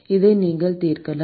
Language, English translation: Tamil, , and you can solve this